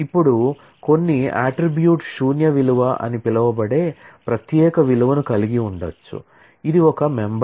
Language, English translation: Telugu, Now, some attribute may have a special value called the null value, which is the member